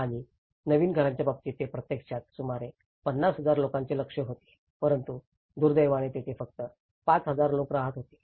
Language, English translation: Marathi, And in terms of the new dwellings, they actually aimed for about 50,000 people but today, unfortunately, only 5000 people lived there